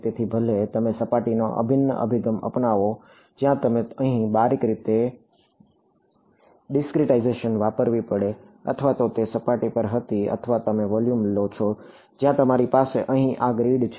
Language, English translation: Gujarati, So, whether you take the surface integral approach where you have to discretize finely over here or so this was surface or you take the volume, where you have this grid over here right